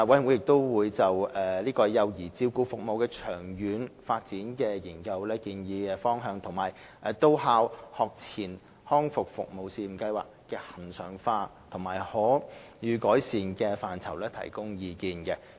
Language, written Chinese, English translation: Cantonese, 委員會亦就幼兒照顧服務的長遠發展研究的建議方向及到校學前康復服務試驗計劃的恆常化及可予改善的範疇提供意見。, The Commission also offered views on the direction of the recommendations in the Consultancy Study on the Long - term Development of Child Care Services and also on the regularization and possible enhancement of the Pilot Scheme on On - site Pre - school Rehabilitation Services